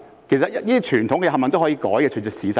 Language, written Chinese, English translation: Cantonese, 其實這些傳統全部都可以改，可以隨着時勢而改。, In fact all these traditional practices can be changed in light of the prevailing circumstances